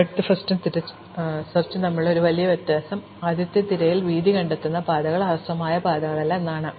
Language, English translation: Malayalam, So, one big difference between depth first search and breadth first search is that the paths that breadth first search discovers are not shortest paths